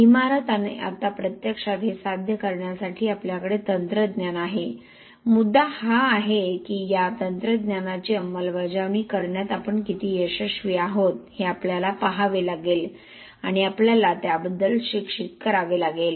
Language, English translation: Marathi, And now we have technology to actually achieve this, the point is how successful we are in implementing these technologies that we have to see and we have to educate on that